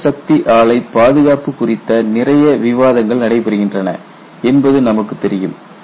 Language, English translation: Tamil, You know there is lot of discussion goes on about nuclear plant safety